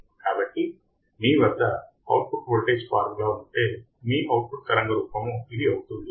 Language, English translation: Telugu, So, if you have this formula for output voltage, your output waveform would be this